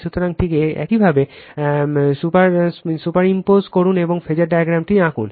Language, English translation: Bengali, So, just you superimpose and just draw the phasor diagram